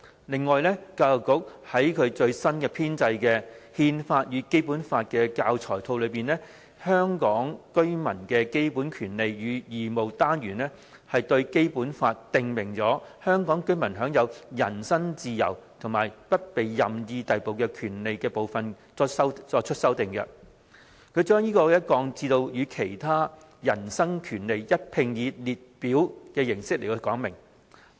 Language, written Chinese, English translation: Cantonese, 另外，教育局在其最新編製的〈憲法與《基本法》教材套〉的"香港居民的基本權利與義務"單元，對《基本法》訂明香港居民享有人身自由和不被任意逮捕的權利的部分作出修訂，把其降至與其他人身權利一併以列表形式說明。, Besides EDB has in the module on fundamental rights and duties of Hong Kong residents in the latest learning package on Constitution and the Basic Law compiled by EDB amended the parts about the rights of Hong Kong residents to enjoy the freedom of the person and not to be subjected to arbitrary arrest as prescribed in BL by relegating them to descriptions in a table alongside with other personal rights